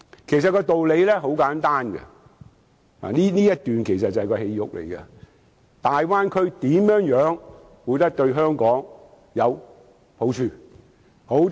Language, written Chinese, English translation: Cantonese, 其實道理很簡單——我以下說的便是內容核心部分——大灣區對香港有何好處？, Actually the point is very simple and what I am going to say is the crux of the matter . How can the Bay Area benefit Hong Kong?